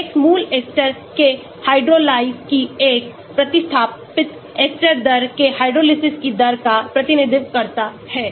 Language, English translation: Hindi, Kx represents the rate of hydrolysis of a substituted ester rate, of hydrolyses of the parent ester